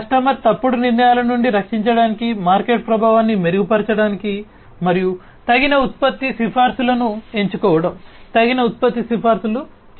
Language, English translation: Telugu, For the customer to protect from wrongful decisions, improve market effectiveness, and picking appropriate product recommendations, making appropriate product recommendations